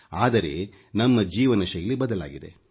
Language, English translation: Kannada, But our lifestyle has changed